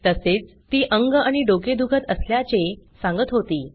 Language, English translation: Marathi, She was complaining of body pain, head ache as well